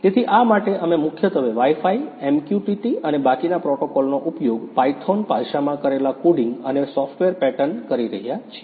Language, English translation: Gujarati, So, for this we are using mainly Wi Fi, MQTT and the rest protocol the coding and software pattern done in the Python language